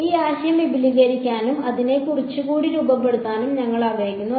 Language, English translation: Malayalam, We want to extend this idea and sort of formulize it a little bit more